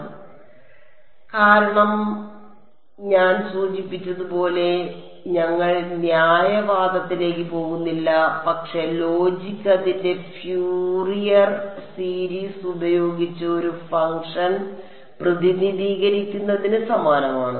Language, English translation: Malayalam, So, the reason; so, as I mentioned, we are not going into the reasoning, but the logic is similar to for example, representing a function using its Fourier series